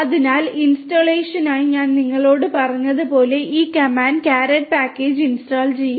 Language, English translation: Malayalam, So, as I was telling you for installation, this command will install the caret package